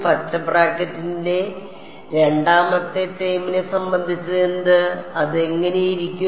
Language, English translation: Malayalam, What about N the second term in the green bracket what does it look like